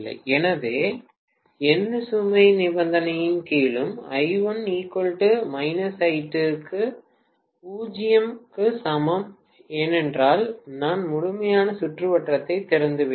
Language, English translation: Tamil, So under no load condition I1 equal to minus I2 which is also equal to 0, because I have opened up the complete circuit